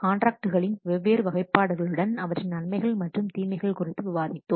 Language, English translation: Tamil, We have discussed the different classifications of contracts along with their advantages and disadvantages